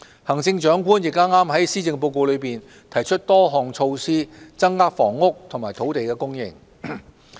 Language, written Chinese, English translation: Cantonese, 行政長官亦剛剛在施政報告中提出多項措施，增加房屋及土地供應。, The Chief Executive has just proposed a number of measures in the Policy Address to increase housing and land supply